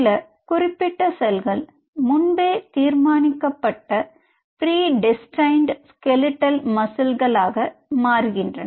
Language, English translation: Tamil, So there are certain cells which are predestined to become skeletal muscle, right